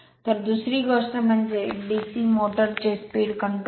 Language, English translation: Marathi, So, another thing is that speed control of DC motor